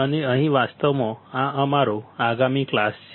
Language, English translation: Gujarati, And here actually this is our next class